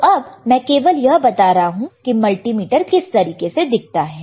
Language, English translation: Hindi, Just now I am just showing it to you this is how a multimeter looks like, all right